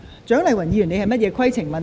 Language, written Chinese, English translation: Cantonese, 蔣麗芸議員，你有甚麼規程問題？, Dr CHIANG Lai - wan what is your point of order?